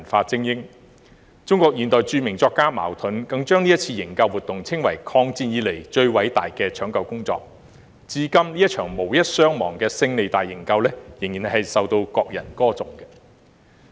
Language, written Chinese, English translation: Cantonese, 中國現代著名作家茅盾更把這次營救活動稱為"抗戰以來最偉大的搶救工作"，至今這場無一傷亡的"勝利大營救"仍然受到國人歌頌。, This group of precious cultural elites was protected . Well - known modern Chinese writer MAO Dun called this rescue mission the greatest rescue in the War of Resistance . Until now this victorious rescue without any casualties is still being praised by the Chinese people